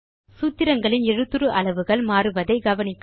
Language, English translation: Tamil, Notice the font size changes in the formulae